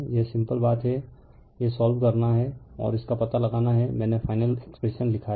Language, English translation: Hindi, This is simple thing only thing is that this one you solve and find it out I have written the final expression right